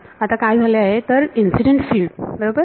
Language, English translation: Marathi, So, what has happened is the incident field right